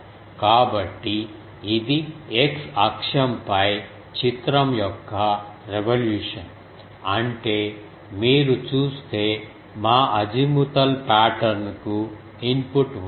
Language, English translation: Telugu, So, this is figure of revolution about x axis; that means, this has input you see our azimuthal pattern